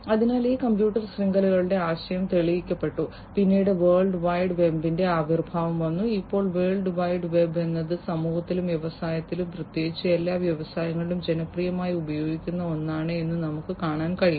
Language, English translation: Malayalam, So, this computer networks the concept was proven, then came the emergence of the world wide web, and now we can see that the world wide web is something, that is popularly used by everybody in the society and also in the industries particularly all industries have lot of use of internet lot of use of world wide web and so on